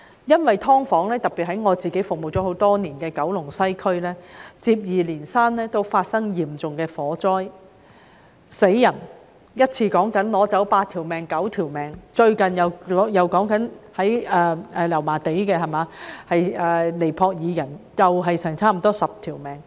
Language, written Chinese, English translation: Cantonese, 因為，"劏房"，特別是在我服務多年的九龍西，也曾接二連三發生嚴重火災，甚至造成人命傷亡，一次意外便奪去八九條人命，在近期的油麻地大火中，也有接近10名尼泊爾人被奪去性命。, It is because there have been successive huge fires involving subdivided units especially in Kowloon West where I have served for many years resulting in casualties . One such incident had claimed eight or nine lives . In the recent inferno in Yau Ma Tei nearly 10 people of Nepalese origin lost their lives